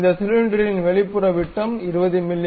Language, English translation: Tamil, The outside diameter of this cylinder is 20 mm